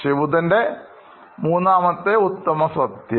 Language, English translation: Malayalam, This was Lord Buddha’s third truth